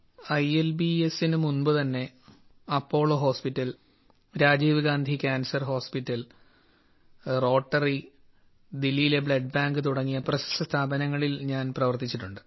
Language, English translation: Malayalam, Even before ILBS, I have worked in prestigious institutions like Apollo Hospital, Rajiv Gandhi Cancer Hospital, Rotary Blood Bank, Delhi